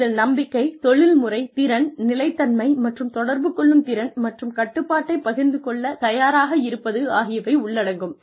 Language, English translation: Tamil, So, which could include, trust, professional competence, consistency, and the ability to communicate, and readiness to share control